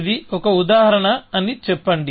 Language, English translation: Telugu, So, let us say that this is an example